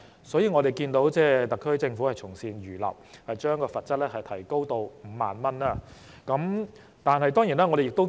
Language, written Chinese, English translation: Cantonese, 所以，我們看到特區政府從善如流，將罰則提高至5萬元。, We see that the SAR Government readily accepted good advice and raised the penalty to 50,000